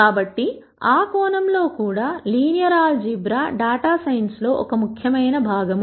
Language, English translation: Telugu, So, in that sense also linear algebra is an important com ponent of data science